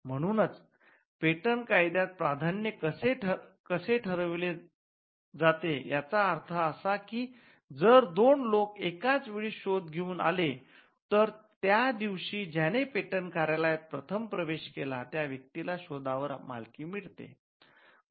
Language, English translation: Marathi, So, this is how priority is determined in patent law which means if two people simultaneously came up with an invention say on the same day the person who approached first the patent office will get the ownership over the invention